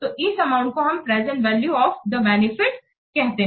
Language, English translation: Hindi, So, this amount is called the present value of the benefit